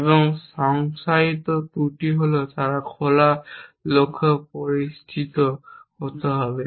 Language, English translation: Bengali, And the flaw as define is they must be known open goals